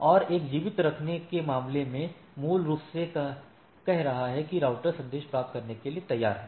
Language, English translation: Hindi, And in case of a keep alive is basically saying that the router is ready for receiving messages